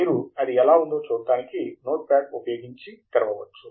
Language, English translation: Telugu, You can open it with Notepad to see how it looks like